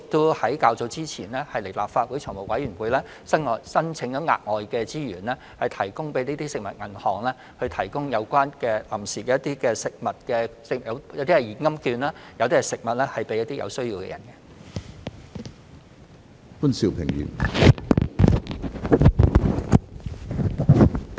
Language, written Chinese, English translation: Cantonese, 我們較早前亦已向立法會財務委員會申請額外資源，為食物銀行提供一些現金券和食物，以派發給有需要人士。, We had also sought additional funding from the Finance Committee of the Legislative Council earlier for food banks to distribute cash coupons and food to the needy